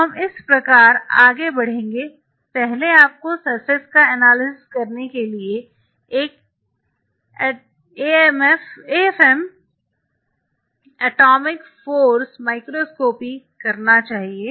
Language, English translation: Hindi, So, this is how we will be proceeding first you should do an AFM atomic force microscopy to analyze the surface